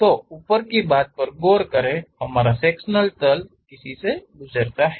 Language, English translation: Hindi, So, look at the top thing, our section pass through this plane